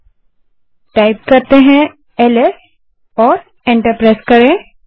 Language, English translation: Hindi, So lets type ls and press enter